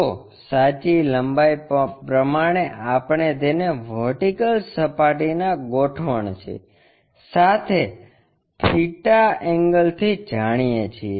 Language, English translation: Gujarati, So, true length we know with theta angle with the vertical plane construct it